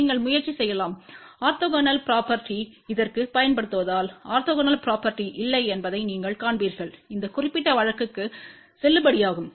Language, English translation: Tamil, You can try also applying orthogonal property to this also and you will see that orthogonal property is not valid for this particular case